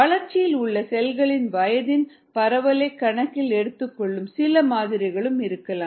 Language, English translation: Tamil, then their could be some models which take into account the distribution in ages of cells in the culture